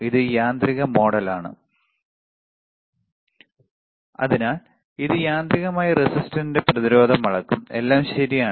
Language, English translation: Malayalam, So, this is in auto mode so, it will automatically measure the resistance of the resistor, all right